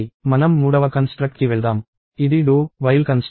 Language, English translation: Telugu, Let us move to the third construct, which is a do while construct